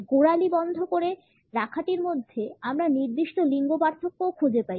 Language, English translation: Bengali, In the ankle lock, we also find certain gender differences